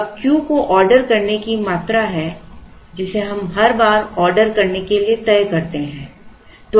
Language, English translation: Hindi, Now, let Q be the ordering quantity that we decide to order every time we place an order